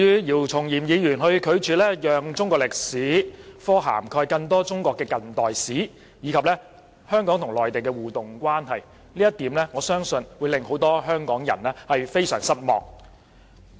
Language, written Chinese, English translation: Cantonese, 姚松炎議員拒絕讓中史科涵蓋更多中國近代史，以及香港與內地的互助關係，我相信這一點會令很多香港人非常失望。, Dr YIU Chung - yim refuses to give more coverage in the Chinese History curriculum to contemporary Chinese history and the interactive relationship between Hong Kong and the Mainland . I trust many Hong Kong people will be greatly disappointed